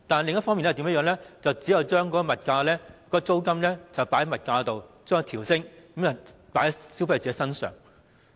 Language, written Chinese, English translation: Cantonese, 另一做法是把租金加幅計入售價，把售價調升，將加幅轉嫁到消費者身上。, Another approach is to include the rental increase in the selling price and increase the selling price shifting all burdens to the consumers